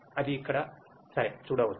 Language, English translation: Telugu, That can be seen here ok